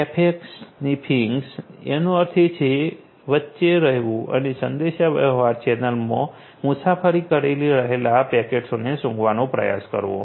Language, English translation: Gujarati, Packet sniffing; basically staying in between and trying to sniff the packets that are traveling, we in a communication channel